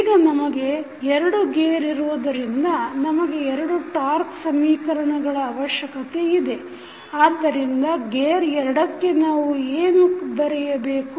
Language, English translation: Kannada, Now, since we have 2 gears, so we need 2 torque equations, so for gear 2 what we can write